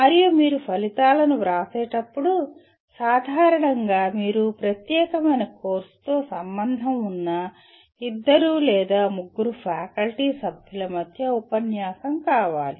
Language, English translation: Telugu, And when you write outcomes, generally you want a discourse between the two or three faculty members who are concerned with that particular course